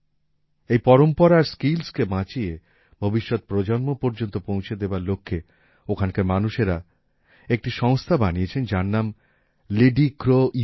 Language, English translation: Bengali, In order to save these traditions and skills and pass them on to the next generation, the people there have formed an organization, that's name is 'LidiCroU'